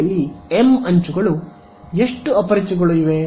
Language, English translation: Kannada, m edges on the boundary how many unknowns are there